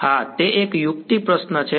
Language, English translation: Gujarati, Yeah, it was a trick question